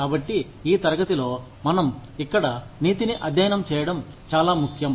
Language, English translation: Telugu, So, it is very important that, we study ethics, here, in this class